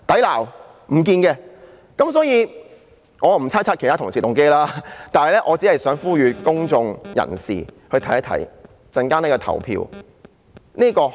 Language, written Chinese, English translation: Cantonese, 我不想猜測其他同事的動機，只想呼籲公眾人士留意稍後的投票結果。, I do not want to speculate the motives of other colleagues . I just want to call on the public to pay attention to the coming voting result